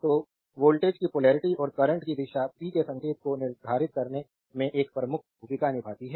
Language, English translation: Hindi, So, polarity of voltage and direction of current play a major role in determine the sign of power it is therefore, your important to see this right